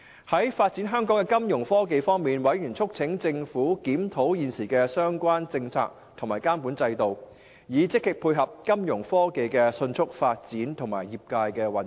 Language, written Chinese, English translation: Cantonese, 在發展香港的金融科技方面，委員促請政府檢討現時的相關政策及監管制度，以積極配合金融科技的迅速發展和業界的運作。, About the developments of the financial technologies Fintech Members urged the Government to review the current policies and regulatory regimes so as to cope with the rapid development in Fintech and meeting the industrys operational needs